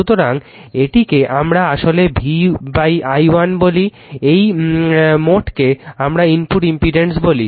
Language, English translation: Bengali, So, this is actually we call V upon i 1, this total we call the input impedance